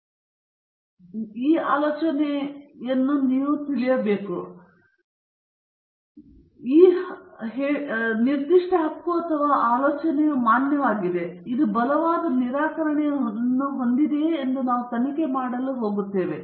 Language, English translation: Kannada, You come up with the supposition or you come up with the claim or a statement and we are going to investigate whether this particular claim or supposition is valid or it has a strong refutation